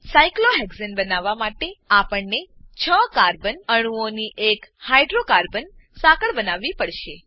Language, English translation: Gujarati, To create cyclohexane, we have to make a hydrocarbon chain of six carbon atoms